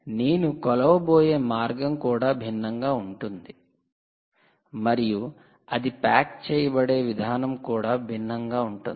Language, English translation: Telugu, the sensor is different, the way you measure is different, the way you package the product is going to look different